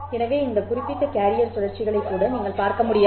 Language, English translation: Tamil, So, you won't be able to even see this particular carrier cycles